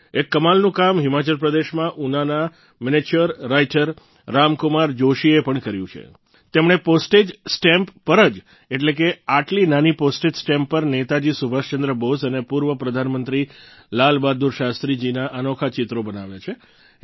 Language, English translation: Gujarati, Miniature Writer Ram Kumar Joshi ji from Una, Himachal Pradesh too has done some remarkable work…on tiny postage stamps, he has drawn outstanding sketches of Netaji Subhash Chandra Bose and former Prime Minister Lal Bahadur Shastri